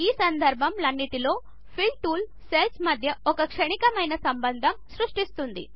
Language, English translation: Telugu, In all these cases, the Fill tool creates only a momentary connection between the cells